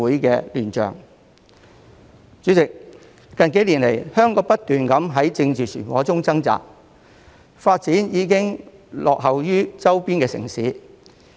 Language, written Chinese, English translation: Cantonese, 代理主席，香港近數年來不斷在政治漩渦中掙扎，發展已經落後於周邊城市。, Deputy President in recent years Hong Kong has been struggling in political turbulence . Its development has already lagged behind those of its peripheral cities